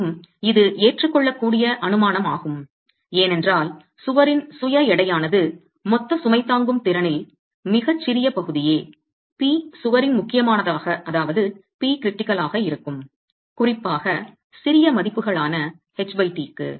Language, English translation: Tamil, And that is an acceptable assumption because the self weight of the wall is going to be a very small fraction of the total load carrying capacity to the peak critical of the wall itself and particularly so for smaller values of H by T